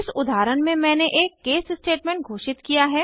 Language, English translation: Hindi, I have declared an case statement in this example